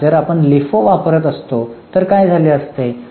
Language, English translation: Marathi, Now if we would have been using LIFO, what would have happened